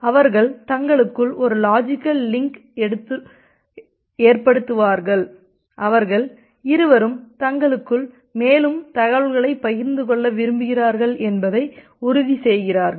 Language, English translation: Tamil, And they are they establish a logical link among themself and they both of them become sure that they want to share the further information among themselves